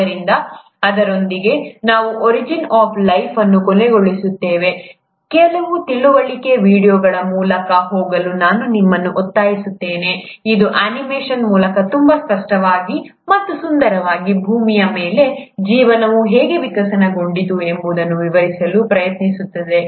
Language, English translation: Kannada, So with that, we’ll end origin of life, I would urge you to go through some of the very informative videos, which very explicitly and beautifully through animation also try to explain you how life must have evolved on earth